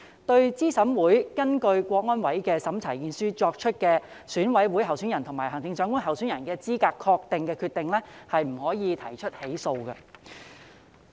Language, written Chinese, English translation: Cantonese, 對資審會根據香港國安委的審查意見書作出的選委會委員候選人及行政長官候選人資格確認的決定，不得提起訴訟。, No legal proceedings may be instituted in respect of a decision made by CERC on the eligibility of a candidate for EC member or for the office of Chief Executive pursuant to the opinion of CSNS